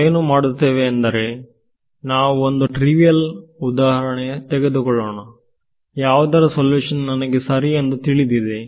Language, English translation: Kannada, What we will do is, we will take a trivial example where I know the true solution ok